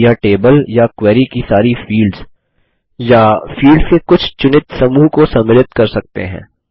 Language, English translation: Hindi, They can also contain all the fields in the table or in the query, or only a selected group of fields